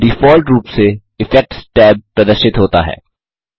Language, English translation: Hindi, By default the Effects tab is displayed